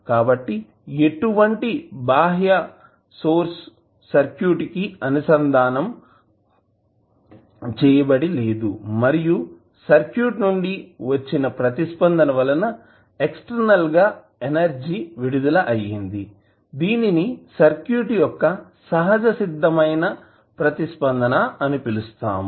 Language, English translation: Telugu, So, when we say that there is no external source connected to the circuit, and the eternal energy is dissipated the response of the circuit is called natural response of the circuit